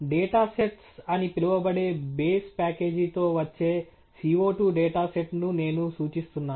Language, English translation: Telugu, I am referring to the CO 2 data set that comes with the base package called data sets